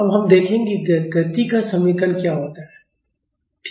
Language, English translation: Hindi, Now, we will see what an equation of motion is, ok